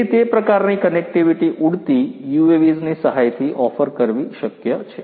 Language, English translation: Gujarati, So, you know offering that kind of connectivity is possible with the help of flying UAVs